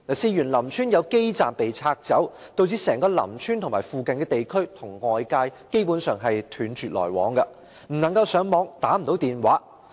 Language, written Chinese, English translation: Cantonese, 事緣林村有基站被拆走，導致整個林村和附近地區與外界基本上斷絕來往，不能上網，不能打電話。, What happened was that the base stations in Lam Tsuen were removed causing the whole Lam Tsuen and its vicinity to be basically cut off from the outside . The residents had no access to the Internet or mobile phone services